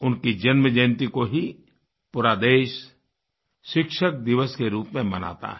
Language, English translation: Hindi, His birth anniversary is celebrated as Teacher' Day across the country